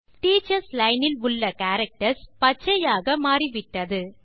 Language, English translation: Tamil, The characters in the Teachers Line have changed to green